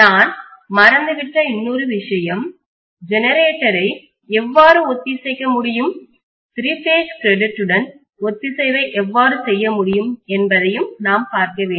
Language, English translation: Tamil, One more thing I have forgotten we also need to look at the generator as how it can be synchronized, how the synchronization can be done with the three phase grid